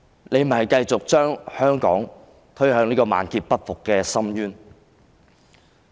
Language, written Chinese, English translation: Cantonese, 你只會繼續把香港推向萬劫不復的深淵。, You will only continue to plunge Hong Kong into the abyss of eternal doom